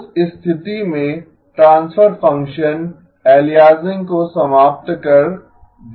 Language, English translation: Hindi, In that case, the transfer function will eliminate aliasing